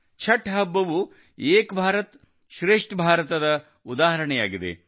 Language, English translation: Kannada, The festival of Chhath is also an example of 'Ek Bharat Shrestha Bharat'